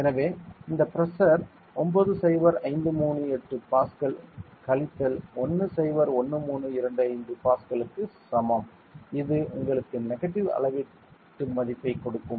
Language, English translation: Tamil, So, which is equal to this pressure 90538 Pascal minus 101325 Pascal which will give you a negative gauge value ok